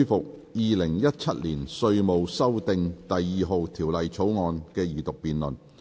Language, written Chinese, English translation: Cantonese, 本會現在恢復《2017年稅務條例草案》的二讀辯論。, We now resume the Second Reading debate on Inland Revenue Amendment No . 2 Bill 2017